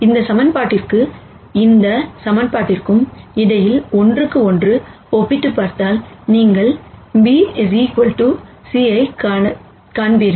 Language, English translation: Tamil, And if you do a one to one comparison between this equation and this equation, you will see that b equals c